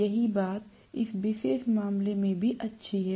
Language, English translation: Hindi, The same thing holds good in this particular case as well